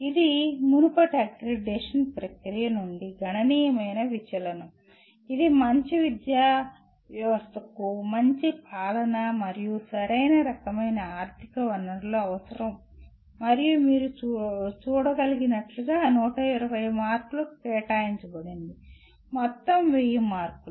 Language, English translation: Telugu, This is a significant deviation from the earlier accreditation process that is a good system of education requires good governance and the right kind of financial resources and that carry 120 as you can see the total is 1000 marks